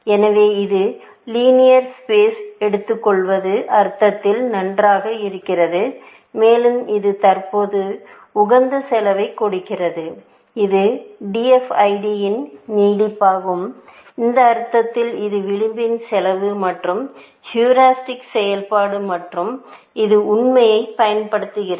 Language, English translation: Tamil, So, it is nice in the sense, that it takes linear space, and it gives currently, optimal cost so, it is an extension of DFID, in that sense, which uses this fact that there are edge cost and there is heuristic function and things like that